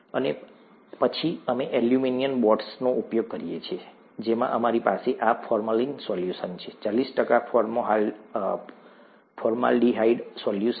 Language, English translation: Gujarati, And then, we use what are called aluminum boards, in which we have this formalin solution, forty percent formaldehyde solution